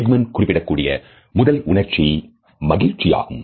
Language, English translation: Tamil, The first universal emotion which has been mentioned by Ekman is happiness